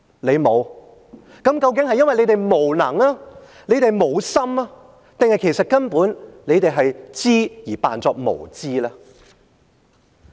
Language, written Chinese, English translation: Cantonese, 你們沒有，究竟是因為你們無能、沒有心，還是根本你們知而假裝無知呢？, You have not even tried . Is it because you are incompetent and heartless or you simply know that but you just pretend that you are ignorant?